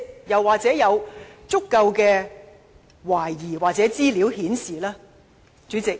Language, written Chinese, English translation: Cantonese, 又或是否已有足夠的疑點或資料，顯示情況確實如此呢？, Is there sufficient doubt or information to show that this is indeed the situation?